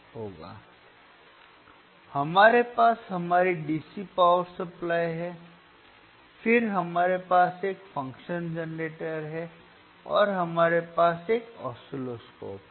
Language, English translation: Hindi, So, we have our DC power supply, then we have function generator, and we have oscilloscope